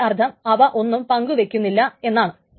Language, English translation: Malayalam, That means they do not share anything